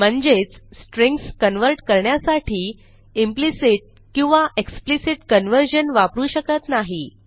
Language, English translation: Marathi, This means for converting strings, we cannot use implicit or explicit conversion